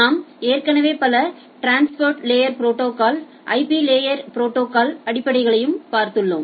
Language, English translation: Tamil, You have already looked into several transport layer protocols and also the basics of IP layer protocols